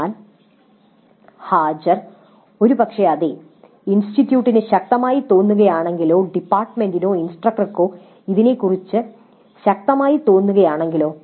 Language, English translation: Malayalam, But attendance probably yes if the institute strongly feels or if the department or the instructor strongly feel about it